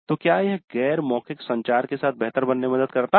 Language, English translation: Hindi, So, does it help in becoming better with non verbal communication